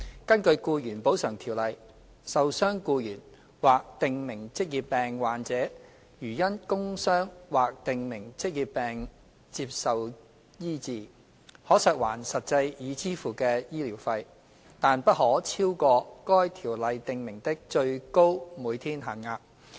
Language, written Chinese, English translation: Cantonese, 根據《僱員補償條例》，受傷僱員或訂明職業病患者如因工傷或訂明職業病接受醫治，可索還實際已支付的醫療費，但不可超過該條例訂明的最高每天限額。, Under the Ordinance an injured employee or a prescribed occupational disease sufferer who has received medical treatment in respect of a work injury or a prescribed occupational disease may claim reimbursement of the actual amount of medical expenses incurred subject to the maximum daily rates specified in the Ordinance